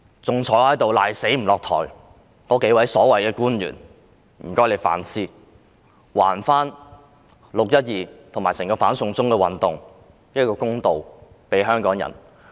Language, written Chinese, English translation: Cantonese, 還坐在這裏死不下台的數位所謂官員，我也請他們反思，就"六一二"事件及整場"反送中"運動還香港人一個公道。, For those so - called government officials who cling on to their positions and refuse to stop down I also urge them to reflect and return justice to the people of Hong Kong in respect of the 12 June incident and the entire anti - extradition to China movement